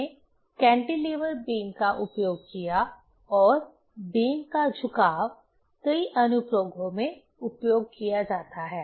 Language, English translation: Hindi, We used cantilever beam and bending of beam is used in many applications